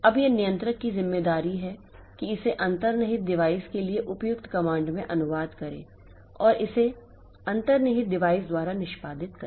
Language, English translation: Hindi, Now, it is the controller's responsibility to translate it into the appropriate command for the underlying device and get it executed by the underlying device